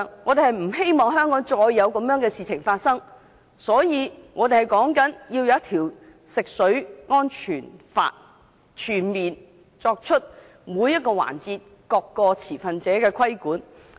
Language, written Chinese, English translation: Cantonese, 為免香港再有同類事件發生，我們要求訂立一套食水安全法，全面對每個環節、各個持份者進行規管。, To prevent the recurrence of similar incidents in Hong Kong we call for legislating for safety of drinking water to comprehensively regulate all stakeholders throughout the process